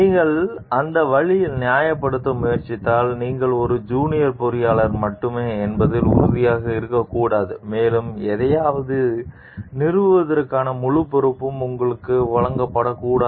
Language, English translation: Tamil, If you try to justify in that way, you should not be sure you are only a maybe junior engineer and you should not be given the full responsibility to install something